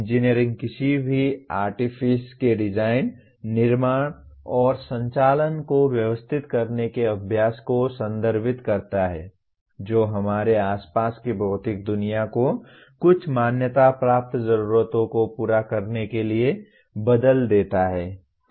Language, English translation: Hindi, Engineering refers to the practice of organizing the design, construction, and operation of any artifice which transforms the physical world around us to meet some recognized need, okay